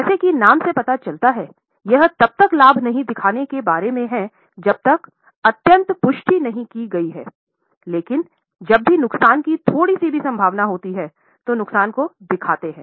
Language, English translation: Hindi, As the name suggests, it is about not showing profit unless it is extremely confirmed, but showing all losses whenever there is a slight likelihood of a loss